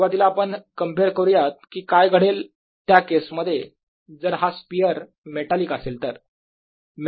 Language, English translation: Marathi, let us first compare what happens in the case if this was a metallic sphere